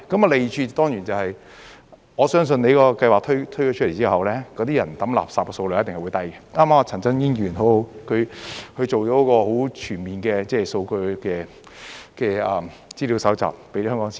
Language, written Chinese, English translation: Cantonese, 利處當然是，我相信你的計劃推出後，市民掉垃圾的數量一定會減低，剛剛陳振英議員很好，他做了一個很全面的數據資料搜集，告訴香港市民。, The pros are of course I believe that the waste disposal volume by the public will definitely be reduced upon implementation of the scheme . Just now Mr CHAN Chun - ying has done a very good job in telling the Hong Kong people about the data and information he has collected in a very comprehensive manner